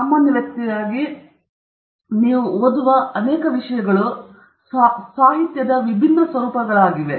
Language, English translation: Kannada, So as a general person, many of the things that you read are different forms of literature